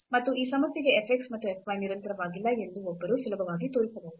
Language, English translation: Kannada, And one can easily show that f x and f y are not continuous for this problem as well